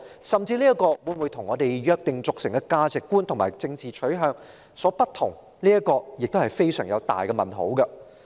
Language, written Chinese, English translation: Cantonese, 有關標準會否與我們約定俗成的價值觀及政治取向有所不同，這存在一個很大的問號。, There is a big question mark over the possible difference between the criteria adopted by the Government and the established values and political stances we uphold